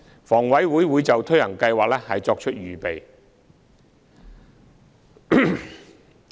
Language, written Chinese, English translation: Cantonese, 房委會會就推行計劃作出預備。, HA will make preparations for implementing this initiative